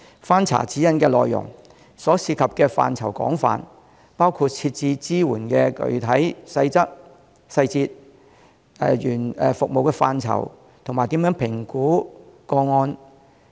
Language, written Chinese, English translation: Cantonese, 翻查《指引》的內容，其涉及的範疇廣泛，包括支援的具體細節、服務範疇，以及如何評估和跟進案件等。, Going through the Guideline one can see that it covers a wide scope of areas including the specific details of the support services the scope of services and the ways to assess and follow up cases